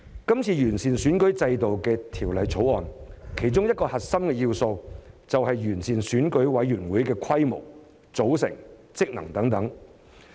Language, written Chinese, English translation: Cantonese, 這次完善選舉制度的《條例草案》，其中一個核心要素，就是完善選委會的規模、組成、職能等。, Improving the size composition and functions etc . of EC is one of the core elements of this Bill to improve the electoral system